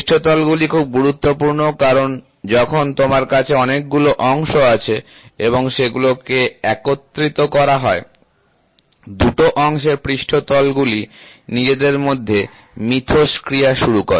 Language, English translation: Bengali, Surfaces are very important because, when you have when you have several parts, when these parts are assembled, the surface of these two parts starts interacting